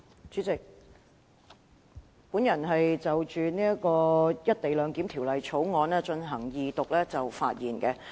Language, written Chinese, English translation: Cantonese, 主席，我現就《廣深港高鐵條例草案》的二讀議案發言。, President I will now speak on the motion on the Second Reading of the Guangzhou - Shenzhen - Hong Kong Express Rail Link Co - location Bill the Bill